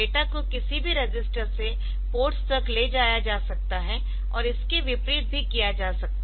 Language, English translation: Hindi, Data can be moved from any register to ports and vice versa